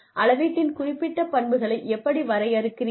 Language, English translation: Tamil, How do you define, the specific characteristics of measurement